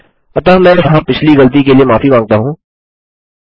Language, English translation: Hindi, So I apologise for that last slip up there